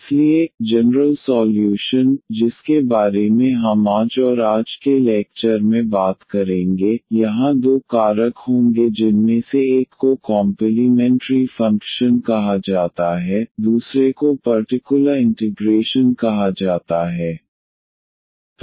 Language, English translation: Hindi, So, the general solution which we will be talking about today’s and today’s lecture will be having two factors here one is called the complementary function the other one is called the particular integral